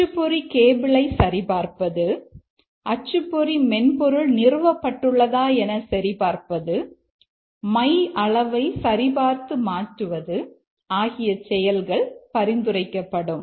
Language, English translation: Tamil, It recommends check printer cable, ensure printer software is installed and check replace, check or replace ink